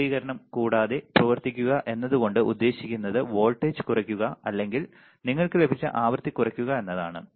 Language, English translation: Malayalam, To operate the without distortion the way is to lower the voltage or lower the frequency you got it